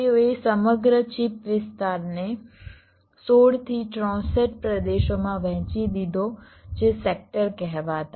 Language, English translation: Gujarati, they divided the entire chip area into sixteen to sixty four regions